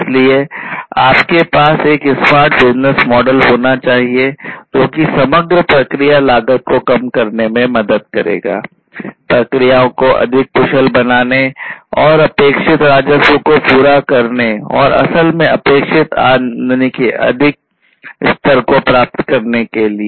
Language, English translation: Hindi, So, you need to have a smart business model, that is, that will help in reducing the overall process cost, making the processes more efficient and meeting the expected revenue and in fact, you know, exceeding the expected revenue